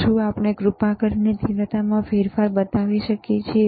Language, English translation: Gujarati, So, can we please show the change in intensity